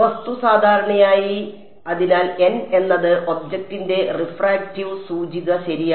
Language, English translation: Malayalam, The object typically v 2; so, n is the refractive index of object right ok